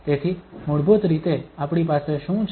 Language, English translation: Gujarati, So basically, what we have